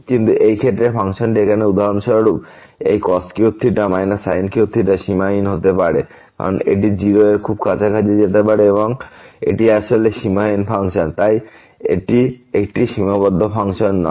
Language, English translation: Bengali, But in this case this function here for example, this cos cube theta minus sin cube theta may become unbounded because this may go to very close to 0 and this is actually unbounded function so this is not a bounded function